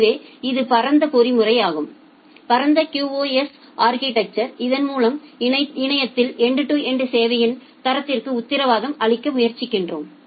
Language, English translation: Tamil, So, this is the broad mechanism, broad QoS architecture through which we try to guarantee end to end quality of service in the internet